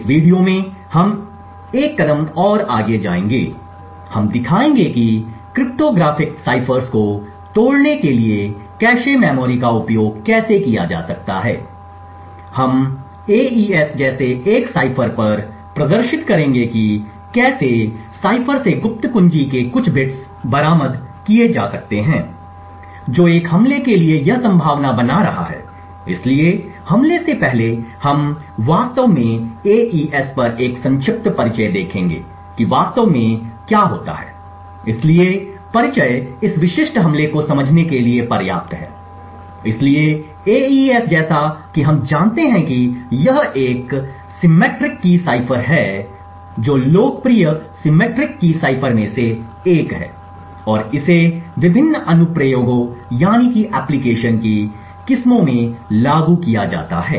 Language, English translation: Hindi, In this video we will take it one step further, we will show how cache memories can be also used to break cryptographic ciphers, we will demonstrate on a cipher like AES about how a few bits of the secret key can be recovered from the ciphers that is making it possible for an attack, so before we go into the attack we will actually just take a brief introduction on AES and we will see what exactly happens, so the introduction is just about sufficient to understand this specific attack, so AES as we know is a symmetric key cipher it is one of the most popular symmetric key ciphers and it is applied in varieties of different application